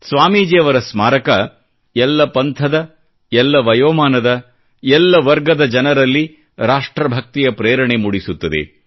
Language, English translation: Kannada, Swamiji's Memorial has inspiringly instilled a sense of national pride amongst people, irrespective of their sect, age or class